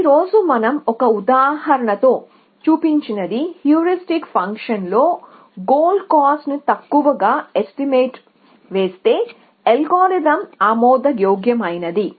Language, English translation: Telugu, So, what we have shown with an example today, that if a heuristic function underestimates the cost of the goal then the algorithm is admissible